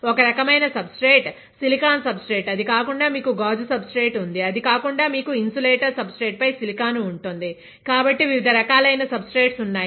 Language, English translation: Telugu, One type of substrate is silicon substrate, then you have glass substrate, then you have silicon on insulator substrate; so different types of substrates are there